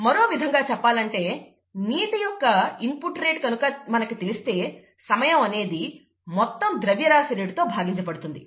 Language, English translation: Telugu, The, in other words, if we know the rate of water input, okay, then the time is nothing but the mass, total mass divided by the rate